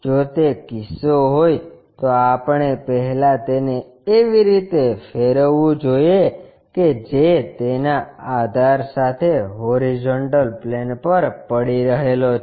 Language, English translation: Gujarati, If that is the case what we have to do is first rotate it in such a way that is resting on horizontal plane with its base